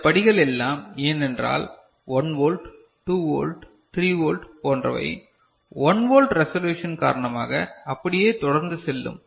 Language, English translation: Tamil, This steps are because of you know it is say 1 volt, 2 volt, 3 volt like, if it is a 1 volt you know resolution is there